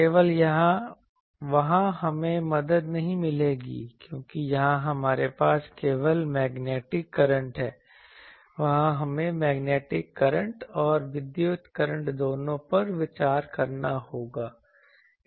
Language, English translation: Hindi, Only there we would not have the help because here we are having only magnetic current, there we will have to consider both the magnetic current and the electric current